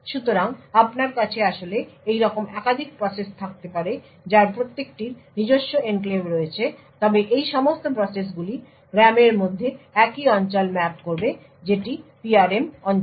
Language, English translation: Bengali, So, therefore you could actually have multiple processes like this each of them having their own enclaves but all of this processes would mapped to the same region within the Ram that is the PRM region